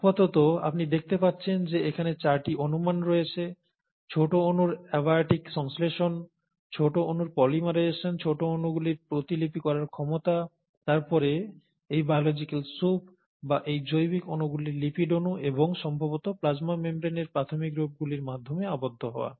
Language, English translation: Bengali, But for now, so you find that there have been four hypotheses, abiotic synthesis of small molecules, polymerization of small molecules, ability of the small molecules to replicate, and then, the enclosure of these biological soups, or these biological molecules by means of lipid molecules, and probably the earliest forms of plasma membrane